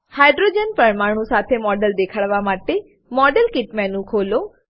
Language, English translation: Gujarati, To show the model with hydrogen atoms, open the modelkit menu